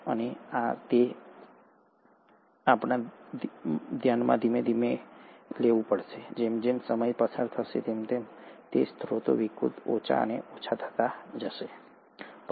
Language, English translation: Gujarati, And, this is where we have to consider that slowly, as the time went past, chances are the sources became skewed, lesser and lesser